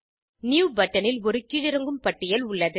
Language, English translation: Tamil, New button has a drop down list